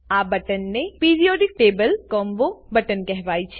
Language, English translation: Gujarati, This button is known as Periodic table combo button